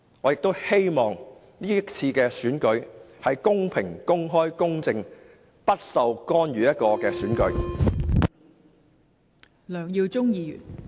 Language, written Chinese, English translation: Cantonese, 我亦希望今次的選舉是公平、公開、公正，不受干預的選舉。, I also hope that this Chief Executive Election will be held in a fair open and impartial manner without any intervention